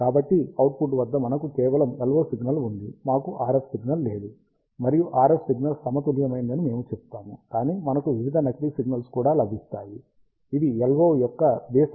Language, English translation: Telugu, So, at the output, we have just the LO signal, we do not have the RF signal, and we say that the RF signal is balanced out, but we also get various spurious signals, which are centred around odd harmonics of the LO